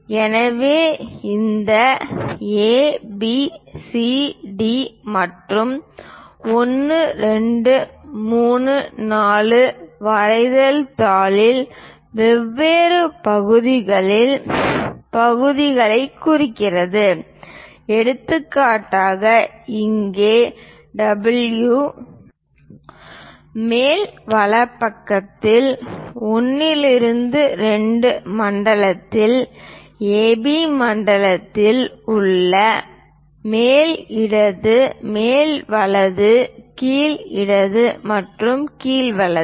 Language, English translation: Tamil, So, this A B C D 1, 2, 3, 4 represents the different areas parts of the drawing sheet for example, here W is in A B zone in 1 2 zone on the top right side top left top right bottom left and bottom right